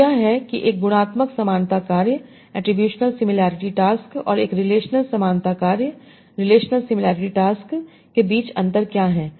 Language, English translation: Hindi, So that is what is the difference between an attributional similarity task and a relational similarity tasks